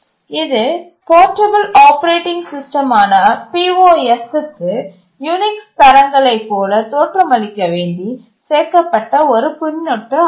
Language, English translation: Tamil, The I X was simply suffix to POS, the portable operating system to make it look like a Unix standard